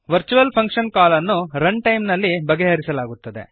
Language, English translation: Kannada, Virtual function call is resolved at run time